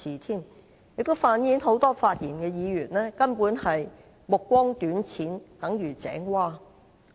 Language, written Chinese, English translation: Cantonese, 這反映出多位發言的議員根本目光短淺如井蛙。, This only reflects the short - sightedness and the narrow vision of these Members